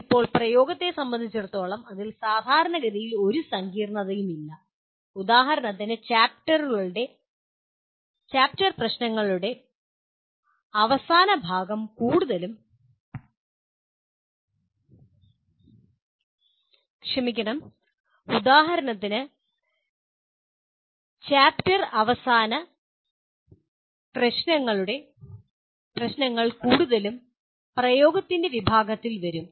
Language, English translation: Malayalam, Now as far as apply is concerned, that is fairly commonly there is no complication in that and for example all the end of the chapter problems mostly will come under the category of apply